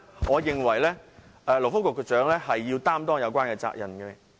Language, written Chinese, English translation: Cantonese, 我認為勞工及福利局局長必須負上相關責任。, I think the Secretary for Labour and Welfare should bear the responsibility